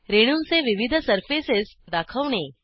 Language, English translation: Marathi, Display different surfaces of molecules